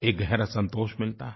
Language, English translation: Hindi, It gives you inner satisfaction